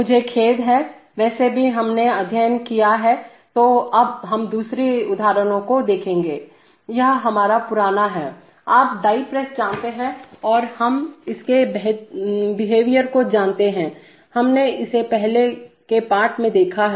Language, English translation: Hindi, I am sorry, anyway that we have studied, so now let us look at the second example, this is our old, you know dye press and we know its behavior, we have seen it in the, in the earlier lesson